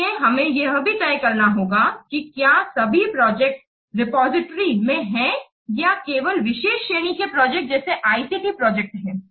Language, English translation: Hindi, So we must also decide whether to have all the projects in the repository or only a special category of projects like as ICT projects